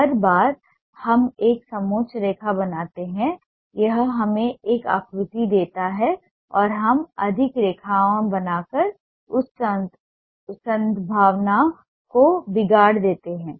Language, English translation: Hindi, every time we make a control line, it gives us a sense of a shape and we spoil that possibility by making more lines